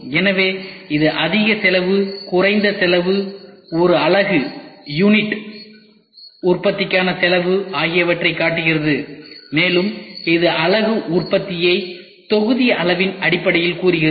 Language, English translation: Tamil, So, this shows the higher cost, lower cost, the cost per unit manufacturing and here it says unit manufacturing in terms of volume ok